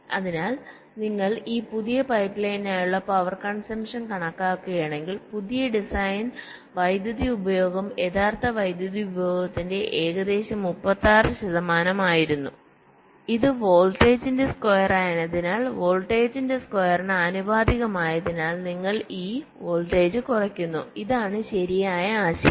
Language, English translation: Malayalam, so if you compute the power consumption, so for the power for this new pipe line, new design, the power consumption was about thirty six percent of the original power consumption, because it is square of the voltage, proportional to square of the voltage, and you are reducing this voltage